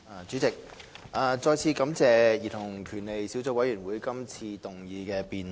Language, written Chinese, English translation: Cantonese, 主席，我再次感謝兒童權利小組委員會這次動議辯論。, President I thank the Subcommittee on Childrens Rights once again for proposing this motion debate